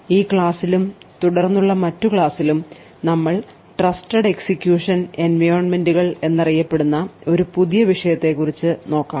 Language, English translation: Malayalam, In this lecture and other lectures that follow we will take a new topic know as Trusted Execution Environments